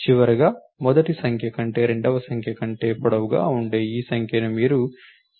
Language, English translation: Telugu, And finally, this number which are longer than the second number longer than the first number you add the carry to it